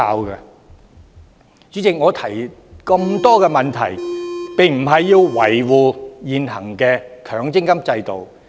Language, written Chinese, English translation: Cantonese, 代理主席，我提出這麼多問題，並非為維護現行強積金制度。, Deputy President I have raised so many questions not because I wish to defend the existing MPF System